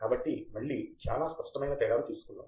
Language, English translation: Telugu, So, let us take again very concrete differences